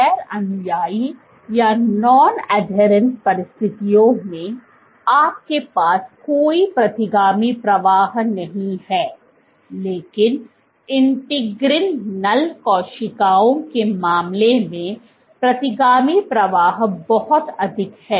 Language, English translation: Hindi, Under non adherent conditions, you have no retrograde flow, but when you in case of integrin null cells, retrograde flow is very high